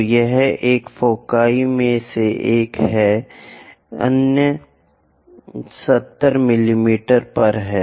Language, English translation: Hindi, So, this is one of the foci; the other one is at 70 mm